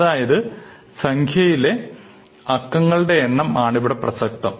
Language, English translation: Malayalam, So, clearly, it is the number of digits which matters